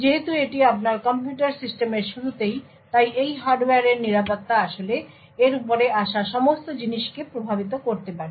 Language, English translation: Bengali, Since this is at the base of your computer systems, the security of these hardware could actually impact all the things which come above